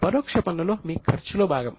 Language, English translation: Telugu, The indirect taxes which are incurred are part of your cost